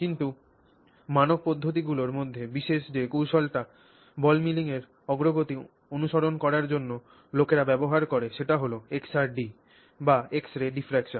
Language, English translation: Bengali, But one of the standard things that techniques that people use for following the progress of ball milling is XRD, which is X ray diffraction